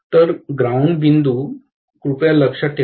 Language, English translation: Marathi, So, the earth point please note is the same